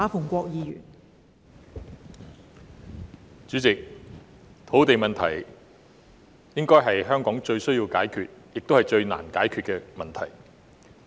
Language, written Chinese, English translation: Cantonese, 代理主席，土地問題應該是香港最急需及最難解決的問題。, Deputy President the land issue should be the most difficult and compelling issue to be solved in Hong Kong